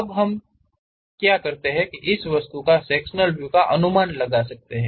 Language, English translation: Hindi, Now, can we guess sectional views of this object